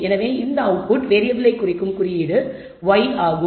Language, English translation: Tamil, So, the symbolic way of denoting this output variable is by the symbol y